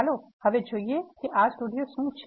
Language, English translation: Gujarati, Let us first see what is R